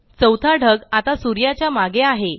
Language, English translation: Marathi, Cloud 4 is now behind the sun